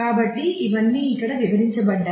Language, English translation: Telugu, So, here all that we are explaining that